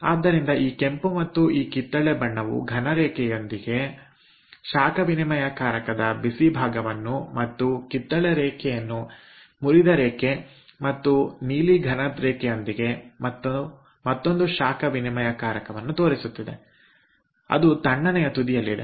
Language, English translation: Kannada, so this red one and ah, the orange one with solid line, that constitute the hot end heat exchanger, and the orange line with a broken line and the blue solid line that constitute another heat exchanger that is at the cold end